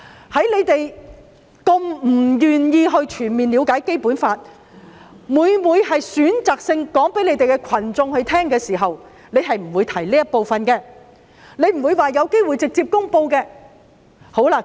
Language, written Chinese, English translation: Cantonese, 由於反對派不願意全面了解《基本法》，每每選擇性地告訴支持他們的群眾，所以絕不會提及直接公布的可能性。, Since the opposition camp has been unwilling to fully understand the Basic Law they always choose to disclose selected information to their supporters and have never mentioned the alternative of direct promulgation